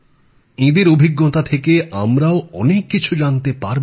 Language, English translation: Bengali, We will also get to know a lot from their experiences